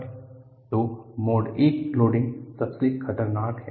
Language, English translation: Hindi, So, Mode I loading is the most dangerous